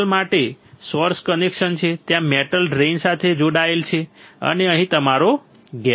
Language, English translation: Gujarati, There is a source connection for metal there is a drain metal is connected and here is your gate